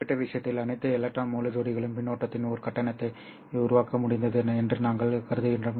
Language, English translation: Tamil, We assume, of course, in this particular case that all these electron whole pairs have been able to generate one charge of current